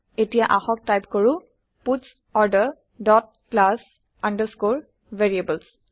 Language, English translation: Assamese, Now let us type puts Order dot class underscore variables